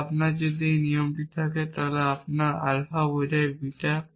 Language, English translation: Bengali, So, it does not matter what alpha beta is